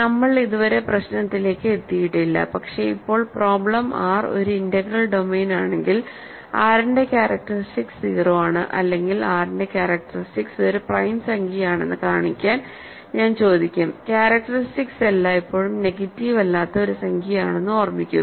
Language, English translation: Malayalam, So, we have not yet gotten to the problem, but the problem now I will ask is show that if R is an integral domain, then characteristic of R is either 0 or characteristic of R is a prime number; remember characteristic is always a non negative integer